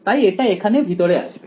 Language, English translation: Bengali, So, it will there